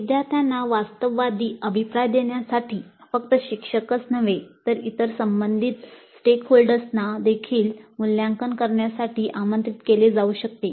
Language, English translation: Marathi, And in order to give a realistic feedback to the learners, it may be necessary that not only the instructor but other concerned stakeholders may also be invited to assess and communicate this to the students upfront